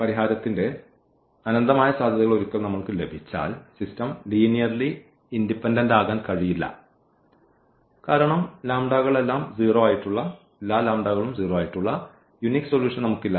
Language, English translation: Malayalam, And once we have infinitely many possibilities of the solution that system cannot be linearly independent because we do not have on the unique solution which is lambda 1 all these lambdas to be equal to 0